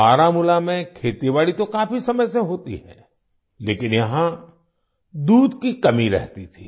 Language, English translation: Hindi, Farming has been going on in Baramulla for a long time, but here, there was a shortage of milk